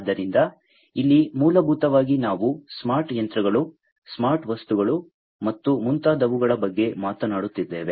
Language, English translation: Kannada, So, here basically we are talking about smart machines, smart objects and so on